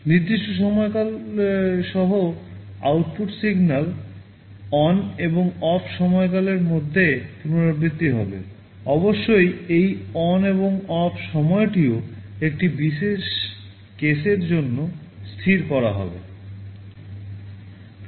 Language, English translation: Bengali, The output signal will alternate between ON and OFF durations with a specific time period; of course, this ON time and OFF time will also be fixed for a particular case